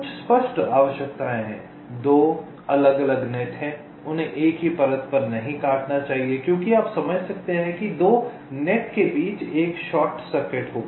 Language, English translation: Hindi, there are some obvious requirements: two different nets, they should not intersect on the same layer as otherwise, you can understand, there will be a short circuit between the two nets